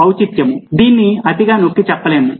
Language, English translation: Telugu, relevance this cannot be overemphasized